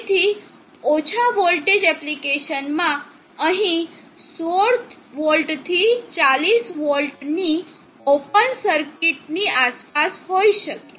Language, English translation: Gujarati, So in low voltage applications this here may be around 60v to 40v open circuit